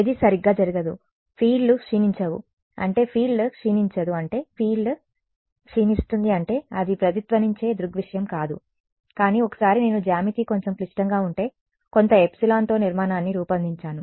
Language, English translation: Telugu, Nothing will happen right the fields will not decay I mean the field will not decay I mean the field will decay off it will not be a resonate phenomena, but once I designed a structure with some epsilon if the and if the geometry slightly complicated I would know what the resonate frequency is